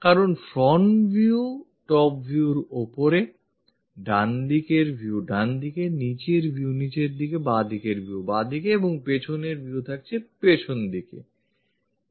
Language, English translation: Bengali, Because front view top view on top, right view on the right side and bottom view is on the bottom side, left view will be on the left side and rear view on the rear side